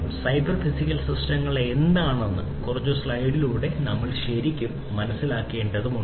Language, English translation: Malayalam, So, we need to understand really what these cyber physical systems are through the next few slides